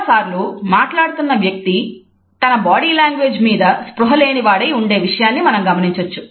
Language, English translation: Telugu, Most of the times we find that a speakers are not even conscious of their own body language